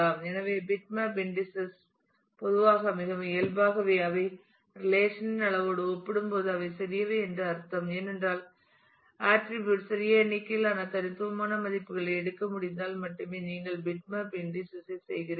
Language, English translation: Tamil, So, bitmap indices generally very I mean naturally they are they are they are small in compared to the relation size because you are doing bitmap indexing only if the attribute can take small number of distinct values